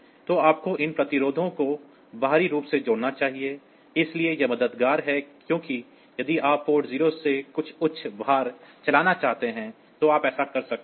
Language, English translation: Hindi, So, you should connect these resistances externally; so, this is helpful because if you want to drive some high load from port 0; so you can do that